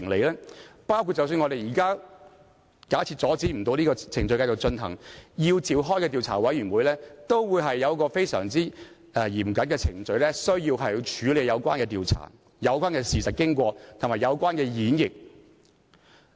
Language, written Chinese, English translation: Cantonese, 假設我們不能阻止這個程序繼續進行，繼而要設立調查委員會，當中都訂明非常嚴謹的程序來處理有關調查事實、經過和演繹的事宜。, If we cannot stop the procedure from proceeding further an investigation committee is to be set up yet extremely stringent procedures have been laid down for the investigation of facts course of events and interpretation